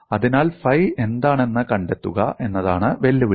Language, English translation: Malayalam, So, the challenge is in finding out what is phi